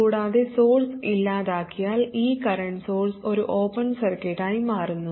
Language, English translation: Malayalam, And with the source nulled, this current source becomes an open circuit, so this is not there